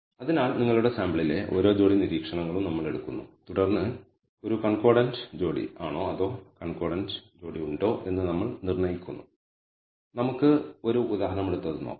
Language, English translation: Malayalam, So, we take every pair of observations in your sample and then assign whether there is a concordant or discordant pair let us take an example and look at it